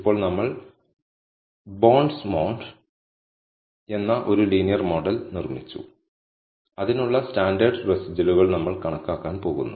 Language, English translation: Malayalam, Now, we built a linear model called bondsmod and we are going to calculate the standardized residuals for it